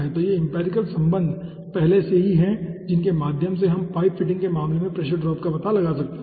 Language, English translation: Hindi, so those empirical relations are already there through which we can find out the pressure drop in case of the pipe fittings